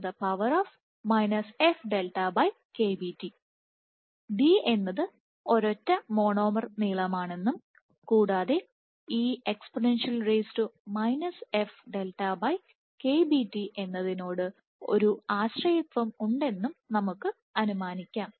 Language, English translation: Malayalam, So, let us assume that d is the single monomer length and, you have a dependence e to the power minus f times delta by KBT